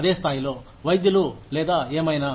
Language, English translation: Telugu, Doctors at the same level, or whatever